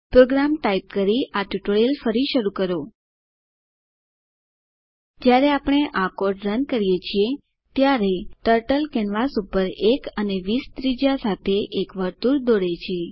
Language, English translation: Gujarati, Resume the tutorial after typing the program When we run this code, Turtle draws a circle with radius between 1 and 20 on the canvas